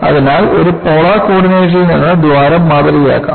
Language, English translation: Malayalam, So, the hole can be modeled from a polar coordinate